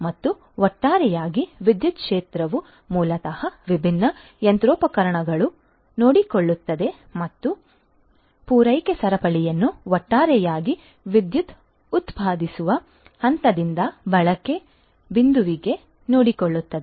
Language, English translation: Kannada, And holistically the power sector you know which basically takes care of different different machinery and the supply chain overall from the generating point of the power to the consumption point